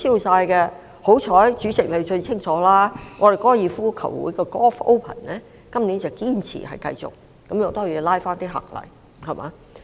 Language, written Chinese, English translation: Cantonese, 幸好，主席知得最清楚，我們高爾夫球會的 Golf Open 今年堅持繼續，也可拉回一些旅客。, Fortunately as the President knows well our golf association insists on staging the Golf Open this year which will win back some visitors